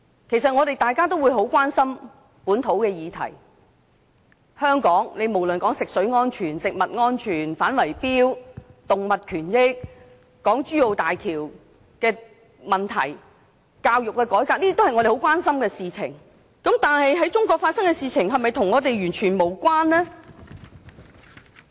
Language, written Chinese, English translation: Cantonese, 其實，大家都很關心本土的議題，在香港，無論是食水安全、食物安全、反圍標、動物權益、港珠澳大橋的問題、教育改革，都是我們很關心的議題，但在中國發生的事情是否與我們完全無關？, In fact all of us are very concerned about local issues . In Hong Kong we are concerned about various issues including water safety food safety fighting bid - rigging protecting animal rights issues related to the Hong Kong - Zhuhai - Macao Bridge and educational reform but does it mean that issues in China do not concern us at all?